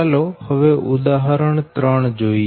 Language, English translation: Gujarati, this is example two